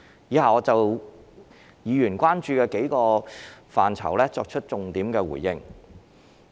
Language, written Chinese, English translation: Cantonese, 以下我會就議員關注的數個範疇，作出重點回應。, In the following I will focus my response on the several areas of concern raised by the Members